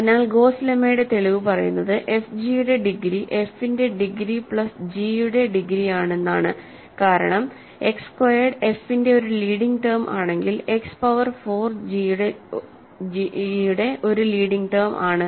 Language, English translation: Malayalam, So, the proof of Gauss lemma says that degree of f g is degree of f plus degree of g, right because if X squared is a leading term of f, X power 4 is a leading term of g, when you multiply them X power 6 will be the leading term of f g